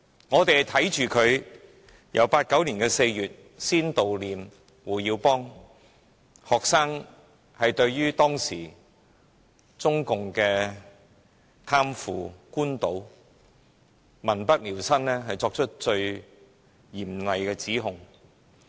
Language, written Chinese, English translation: Cantonese, 我們看着學生最初在1989年4月悼念胡耀邦，對當時中共的貪腐、官倒、民不聊生，作出最嚴厲的指控。, It started in April 1989 when students mourned HU Yaobang and levelled the severest accusations at the Communist Party of China CPC for its corruption and official profiteering which had left people in dire straits